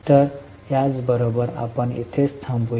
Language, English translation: Marathi, So, with this we will stop here